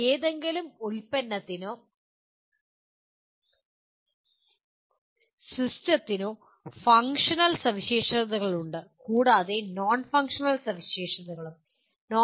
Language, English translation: Malayalam, There are for any product or system there are functional specifications and there are non functional specifications